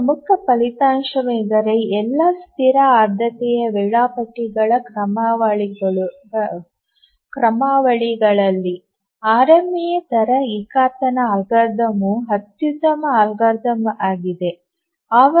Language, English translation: Kannada, One important result is that among all static priority scheduling algorithms, RMA, the rate monotonic algorithm is the optimal algorithm